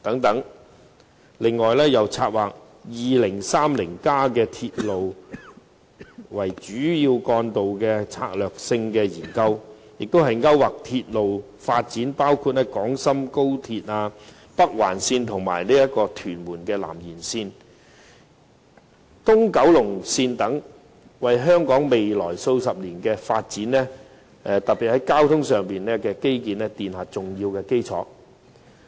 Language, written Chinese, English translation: Cantonese, 此外，又策劃《香港 2030+》以鐵路為主要幹道的策略性研究，勾劃出鐵路發展，包括廣深港高連鐵路香港段、北環線、屯門南延線和東九龍線等項目，為香港未來數十年的發展，特別是交通基建奠下重要基礎。, Moreover based on Hong Kong 2030 the Policy Address also takes forward the strategic studies on railways and major roads and depicts the development of railways including the Hong Kong section of the Guangzhou - Shenzhen - Hong Kong Express Rail Link the Northern Link the Tuen Mun South Extension and the East Kowloon Line . All of these are the foundations of transportation infrastructure which are crucial to Hong Kongs development in the coming decades . However a remote solution could never provide prompt remedy